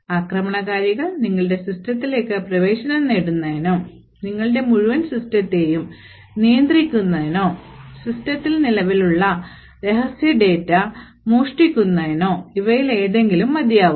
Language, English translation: Malayalam, Any one of these is sufficient for the attacker to get access into your system and therefore control your entire system or steal secret data that is present in the system